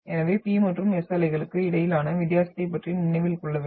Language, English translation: Tamil, So this you should remember about the difference between the P and the S waves